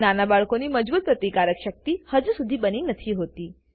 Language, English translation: Gujarati, Young babies have not yet built up a strong immune system